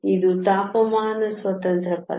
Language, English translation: Kannada, This is a temperature independent term